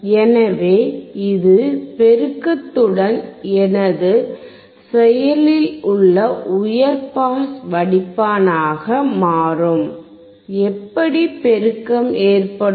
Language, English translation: Tamil, So, this becomes my active high pass filter with amplification, how amplification